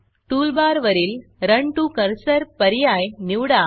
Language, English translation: Marathi, Now from the toolbar, choose the Run To Cursor option